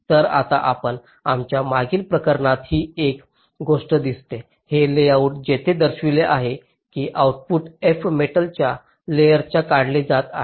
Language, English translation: Marathi, so now one thing: you just see, in our previous case, this layout here, we had shown that the output f was being taken out on a metal layer